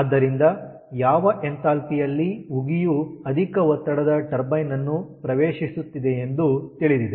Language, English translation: Kannada, so enthalpy with which steam is entering the, entering the high pressure turbine that is known now